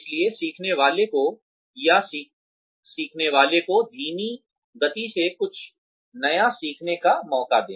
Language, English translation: Hindi, So, have the learner, or give the learner, a chance to learn something new, at a slow speed